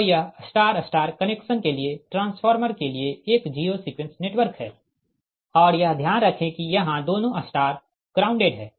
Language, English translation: Hindi, so this is a zero sequence, your network for the transformer, for star star, your connection, but both star are grounded